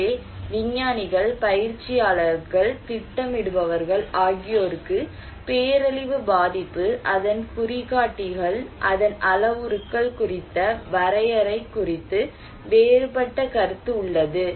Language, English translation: Tamil, So, scientists, practitioners, planners, they have different opinion about the definition of disaster vulnerability, its indicators, its parameters